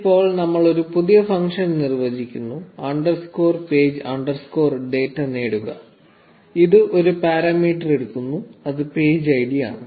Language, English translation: Malayalam, Now we define a new function, say, get underscore page underscore data, which takes one parameter, which is the page id